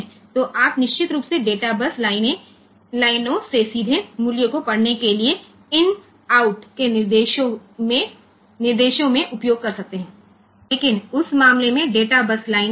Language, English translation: Hindi, So, you can of course, use this in out instructions to read the values directly from the data base lines, but the data base lines are hanging in that case ok